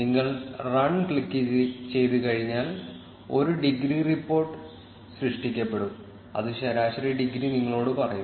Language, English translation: Malayalam, Once you click on run, there will be a degree report generated, which will tell you the average degree